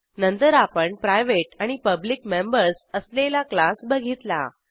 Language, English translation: Marathi, Then we have seen class with the private and public members